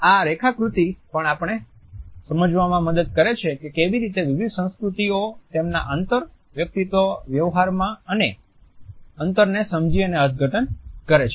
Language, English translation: Gujarati, This diagram also helps us to understand how different cultures understand and interpret the sense of a space in their inter personal dealings